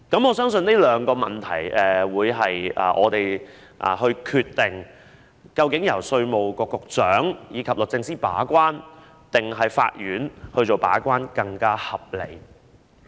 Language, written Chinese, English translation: Cantonese, 我相信這兩個問題是我們決定究竟由稅務局局長及律政司把關，還是由法院把關會更為合理？, I believe these two questions are pivotal to our decision on whether it is more reasonable for the gate - keeping role to be taken up by the Commissioner of Inland Revenue and DoJ or by the Court